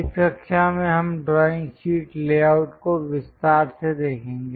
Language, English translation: Hindi, In this class we will look at in detail for a drawing sheet layout